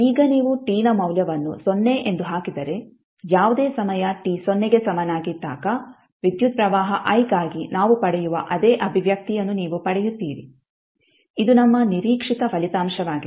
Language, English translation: Kannada, Now if you put the value of t as 0 you will get the same expression which we derive for current i at any time at time t is equal to 0 which is our expected result